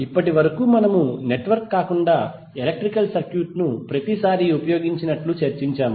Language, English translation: Telugu, Till now we have discussed like every time we use electrical circuit not the network